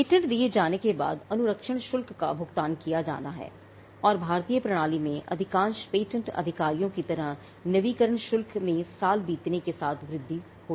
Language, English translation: Hindi, After the patent is granted the inventions the maintenance fee has to be paid and the in the Indian system like most patent officers the renewal fee increases as the years go by